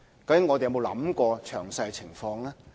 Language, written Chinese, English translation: Cantonese, 究竟我們有沒有想過詳細情況呢？, Has he thought about the situation in detail?